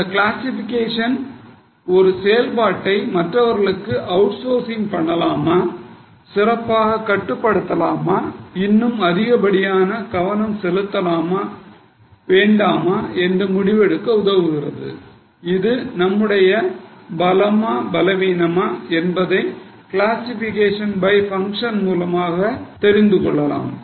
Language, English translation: Tamil, So, the classification helps us in whether we should outsource a function, whether we should go for better control, whether we should give more focus, is it our strength, weakness, we come to know from cost classification by function